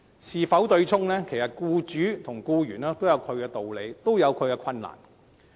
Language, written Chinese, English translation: Cantonese, 因此，對沖與否，僱主和僱員均有其道理，亦各有其困難。, In this case both employers and employees have their own rationale for and difficulties in offsetting or otherwise